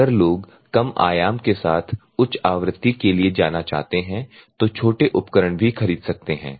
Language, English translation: Hindi, So, if at all people want to go for higher frequency with lower amplitude you can even purchase a small equipment